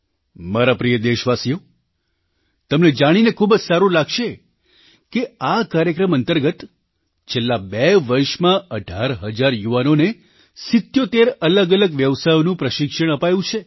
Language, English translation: Gujarati, My dear countrymen, it would gladden you that under the aegis of this programme, during the last two years, eighteen thousand youths, have been trained in seventy seven different trades